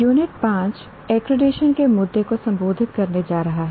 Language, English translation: Hindi, The Unit 5 is going to address the issue of accreditation